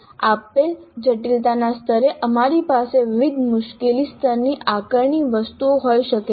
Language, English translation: Gujarati, At a given complexity level we can now assessment items of different difficulty levels